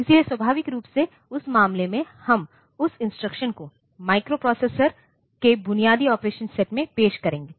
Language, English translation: Hindi, So, naturally in that case we will be introducing that instruction into the microprocessor basic operation set